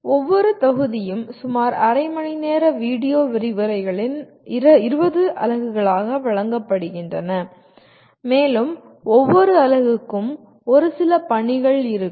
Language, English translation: Tamil, Each module is offered as 20 units of about half hour video lectures and each unit will have a set of assignments